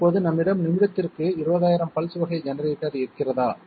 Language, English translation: Tamil, Now do we have 20,000 pulses per minute generator here